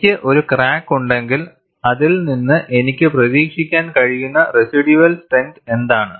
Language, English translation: Malayalam, If I have a crack, what is the residual strength that I could anticipate from it